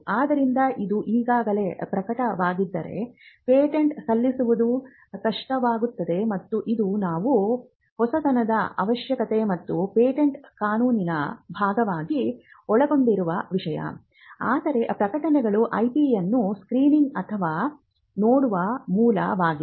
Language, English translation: Kannada, So, if it is already published then it becomes hard to file a patent and this is something which we covered as a part of the novelty requirement and patent law, but publications are a source for screening or looking at IP